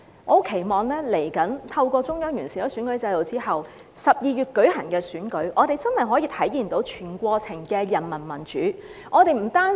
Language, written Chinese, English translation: Cantonese, 我期望未來透過中央完善選舉制度之後，在12月舉行的選舉，我們真的可以體現到全過程的人民民主。, I hope that in the future through the electoral system improved by the Central Government we can genuinely realize whole - process peoples democracy when the election is held in December